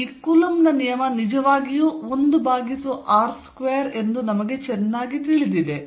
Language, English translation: Kannada, So, we know very well that this coulomb's law is really 1 over r square